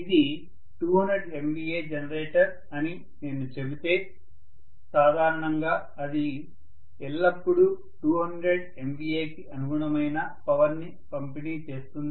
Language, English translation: Telugu, If I say it is 200 MVA generator it will always be delivering a power corresponding to 200 MVA normally